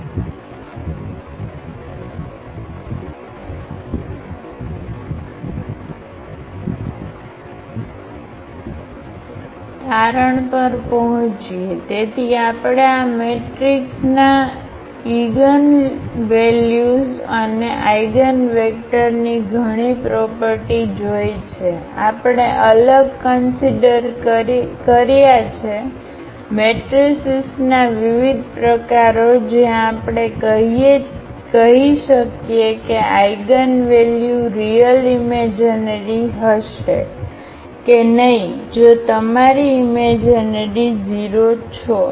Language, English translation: Gujarati, Getting to the conclusion, so we have seen several properties of this eigenvalues and eigenvectors of a matrix, we have considered different; different types of matrices where we can tell about whether the eigenvalues will be real imaginary if your imaginary you are 0